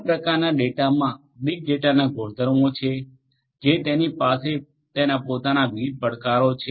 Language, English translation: Gujarati, This kind of data has the properties of big data which have different different challenges of it is own